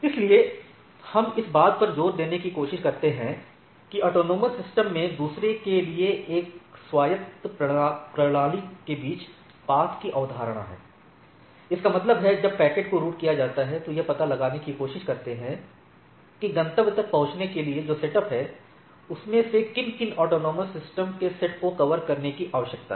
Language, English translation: Hindi, So, we try to emphasize there is a concept of path between one autonomous system to another in autonomous system; that means, when the packet is routed it, it try to find out that in order to reach the destination which are the set of up ordered set of autonomous system need to be covered, all right